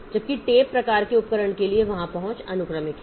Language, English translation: Hindi, Whereas for tape type of device, so there the access is sequential